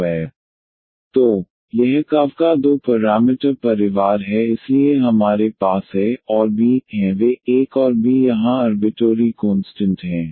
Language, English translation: Hindi, So, this is the two parameter family of curve so we have a and b they are the arbitrary constants here a and b